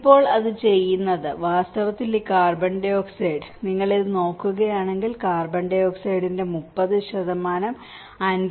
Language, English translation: Malayalam, And now, what it is doing is, in fact this carbon dioxide, if you look at this, there is a methane going up to the 30% and 54